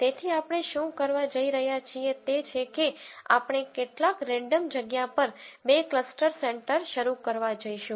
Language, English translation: Gujarati, So, what we are going to do is we are going to start o two cluster centres in some random location